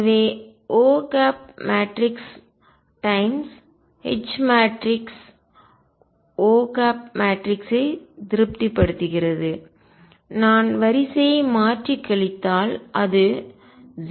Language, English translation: Tamil, So, O satisfies that matrix of O time’s matrix of H and if I change the order and subtract it is 0